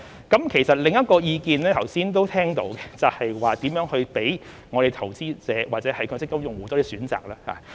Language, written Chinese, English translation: Cantonese, 剛才都聽到另一個意見，就是如何讓投資者或強積金用戶有多些選擇。, We have also heard another opinion just now that is how to provide investors or MPF users with more choices